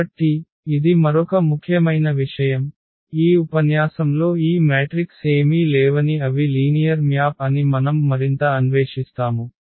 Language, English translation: Telugu, So, this is another important point which we will be exploring further in this lecture that this matrices are nothing but they are linear map